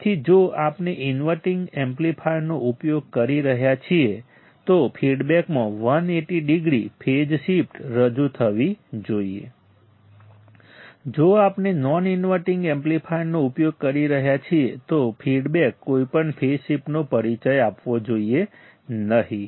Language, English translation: Gujarati, So, if we are using an inverting amplifier, feedback should introduce 180 degree phase shift; if we are using a non non inverting amplifier, feedback should not introduce any phase shift right